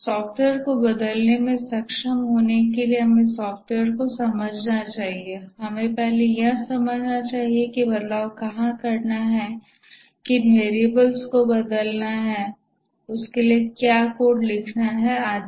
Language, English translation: Hindi, We must first understand where the change has to be done, which variables are to be changed, what code is to be written for that, and so on